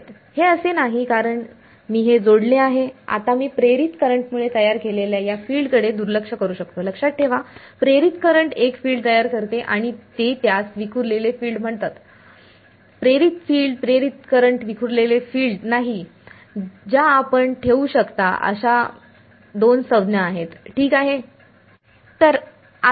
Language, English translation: Marathi, It is not that because I connected this now I can ignore these the induce the field produced due to induced current; remember right, induced current produces a field and they call it as scattered field, not induced field induced current scattered field these are the two terms you should keep ok